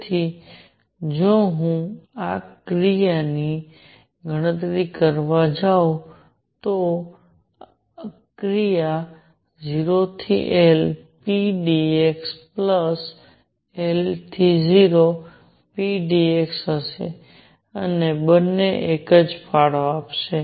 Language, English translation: Gujarati, So, if I go to calculate the action for this, action will be 0 to L p dx plus L to 0 p dx and both will contribute the same